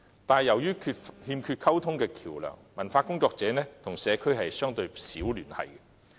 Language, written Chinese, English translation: Cantonese, 但是，由於欠缺溝通橋樑，文化工作者與社區的聯繫相對少。, However due to the lack of communication channels these cultural workers have relatively little connection with the community